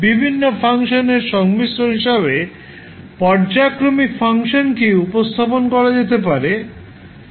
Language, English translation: Bengali, So, you can represent our periodic function, as a combination of various functions